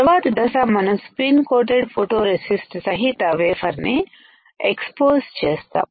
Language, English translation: Telugu, Next step is we have spin coated photoresist from this particular area